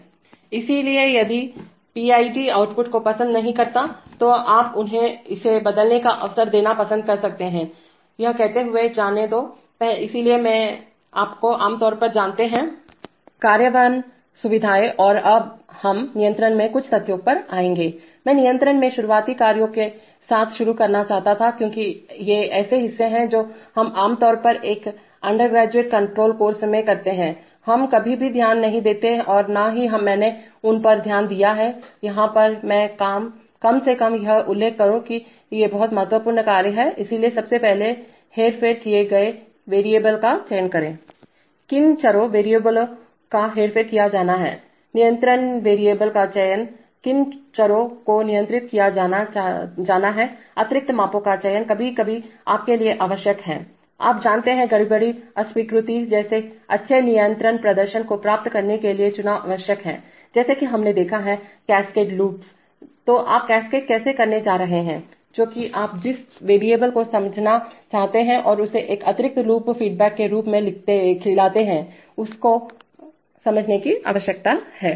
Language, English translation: Hindi, So if it does not like the PID output, you might like to give them an opportunity to change it, having said this, let, so these are you know typically implementation features and now we will come to some facts on control, I wanted to start with the early tasks in control because these are the parts that we generally in an undergraduate control course, we never pay attention to neither have I paid attention and to them here but at least let me mention that these are very important tasks, so first of all selection of manipulated variables, which variables are to be manipulated, selection of controlled variables, which variables are to be controlled, selection of extra measurements, sometimes required for, you know, choice is required for achieving good control performance like disturbance rejection as we have seen in the case of Cascade loops, so how are you going to do the cascade, which are the variable you want to sense and feed it as an inner loop feedback, you need to understand that